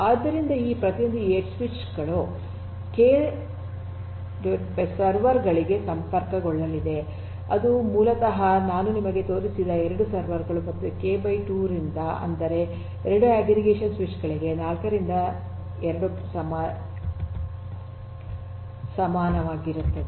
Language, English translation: Kannada, So, each of these edge switches are going to connect to k by 2 servers which are basically the 2 servers that I had shown you and k by 2; that means, 4 by 2 equal to 2 aggregation switches